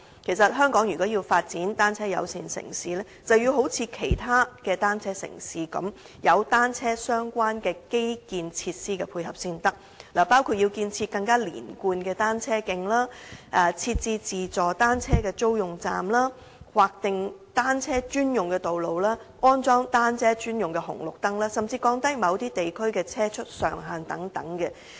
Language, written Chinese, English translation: Cantonese, 其實，如果香港要發展成為單車友善城市，就要一如其他單車友善城市般，有單車相關的基建設施配合才行，包括建設更連貫的單車徑、設置自助單車租用站、劃定單車專用道、安裝單車專用紅綠燈，甚至降低某些地區的車速上限等。, Actually Hong Kong can succeed in developing into a bicycle - friendly city only by installing cycling - related infrastructure facilities as support such as constructing more coherent cycle tracks setting up self - service bicycle rental points designating dedicated bicycle lanes installing traffic lights specially for cyclists and even reducing vehicle speed limits in certain districts as in the case of other bicycle - friendly cities